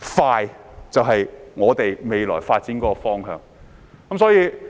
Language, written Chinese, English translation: Cantonese, 快捷就是我們未來發展的方向。, Swiftness is the direction for our future development